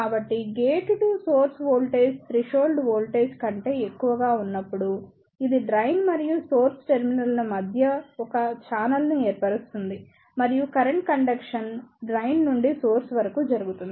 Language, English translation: Telugu, So, when the gate to source voltage is greater than the threshold voltage, it will form a channel between the drain and the source terminal and the current conduction will take place from drain to source